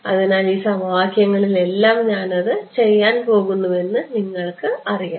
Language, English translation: Malayalam, So, that you know that I am going to do it to all of these equations ok